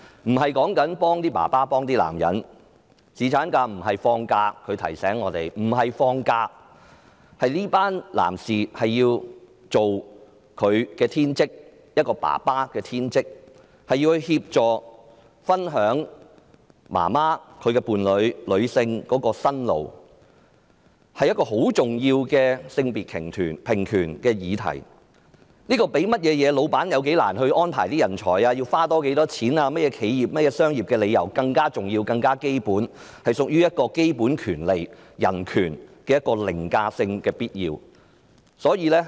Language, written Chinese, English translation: Cantonese, 她提醒我們，侍產假不僅是放幾天假而已，而是讓這群男士盡他們作為父親的天職，協助和分擔媽媽、女性、伴侶的辛勞，所以這是一項很重要的性別平權的議題。這較僱主難以安排人手、多花多少錢、其他的企業和商業理由更重要、更基本，是屬於具凌駕性基本權利、必要的人權。, She reminded us that paternity leave is not just a matter of taking a few days off but an opportunity for these men to discharge their sacred duty as fathers by assisting the mothers and sharing their burden . Therefore this is a very important issue of gender equality which is an overriding and essential human right more important and basic than employers recruitment difficulties and extra expenditure or other entrepreneurial and commercial reasons